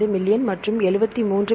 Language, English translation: Tamil, 55 million and this is 73